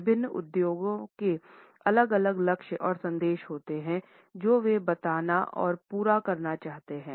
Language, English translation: Hindi, Different industries have different goals and messages which they want to convey and fulfill